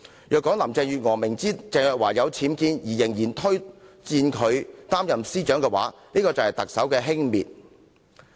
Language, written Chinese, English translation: Cantonese, 如果林鄭月娥明知鄭若驊家有僭建物也推薦她擔任司長，便是特首輕蔑律政司司長一職。, If Carrie LAM recommended Teresa CHENG as the Secretary for Justice even knowing that she has UBWs in her residence it would be the Chief Executives contempt of the post of Secretary for Justice